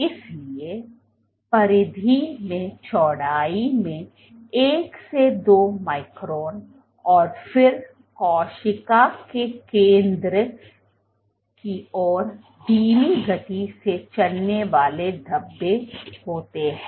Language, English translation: Hindi, So, one to two microns in width at the periphery and then there are slow moving speckles towards the center of the cell